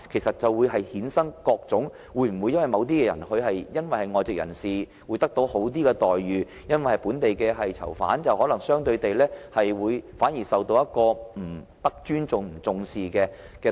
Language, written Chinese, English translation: Cantonese, 否則，會否衍生各種問題，例如某些外籍人士得到較好待遇，本地囚犯反而相對地不受尊重和重視？, Otherwise would this generate various problems? . For example while some foreigners are better treated would local inmates be deprived of respect and heed relatively?